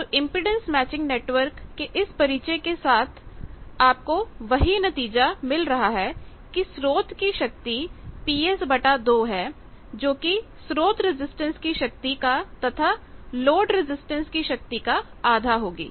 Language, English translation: Hindi, So, with this introduction of impedance matching network also you are achieving the same thing that half of the source power source power is P S half of that is in the source resistance half of that is in the load resistance that thing you are achieving here